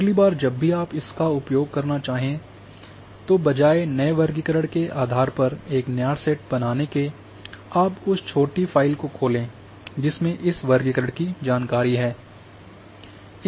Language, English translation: Hindi, Whenever next time you want to use just open that small file which is having this classification information rather than creating a new dataset with new classification based on new classification